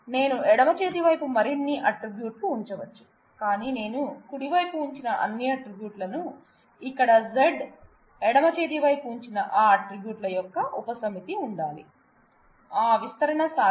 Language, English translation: Telugu, I may put more attributes on the left hand side, but all attributes that I put on the right hand side here Z must be a subset of the attributes that I put on the left hand side, that augmentation is possible